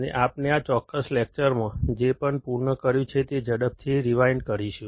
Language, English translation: Gujarati, And we will quickly rewind whatever we have completed in this particular lecture